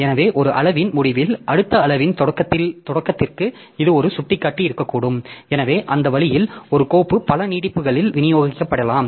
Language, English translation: Tamil, So, at the end of one extent so it can have a pointer to beginning of the next extent so that way a file may be distributed over a number of extents